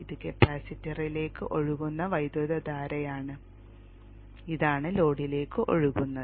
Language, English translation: Malayalam, This is the current that flows into the capacitor and this is the current that flows into the load